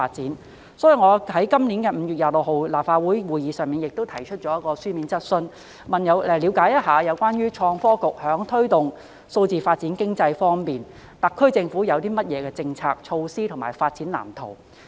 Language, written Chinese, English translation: Cantonese, 因此，我在今年5月26日的立法會會議上提出一項書面質詢，了解有關創新及科技局在推動數字經濟發展方面，特區政府會有何政策、措施和發展藍圖。, Therefore I have put a written question at the meeting of the Legislative Council on 26 May this year about the policies measures and development blueprint to be formulated by the Innovation and Technology Bureau to promote the development of digital economy